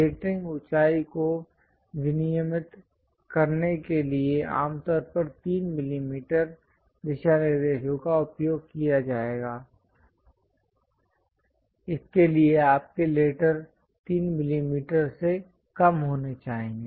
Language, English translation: Hindi, To regulate lettering height, commonly 3 millimeter guidelines will be used; so your letters supposed to be lower than 3 millimeters